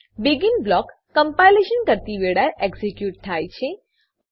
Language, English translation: Gujarati, BEGIN block get executed at the time of compilation